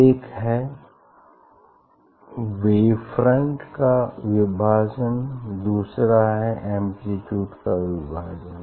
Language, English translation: Hindi, that is the one is division of wave front and another is division of amplitude